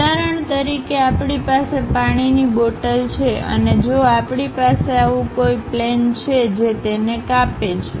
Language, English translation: Gujarati, For example, we have a water bottle and if we are going to have something like this plane, slice it